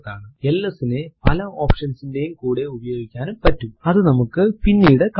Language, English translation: Malayalam, ls can be used with many options which we will see later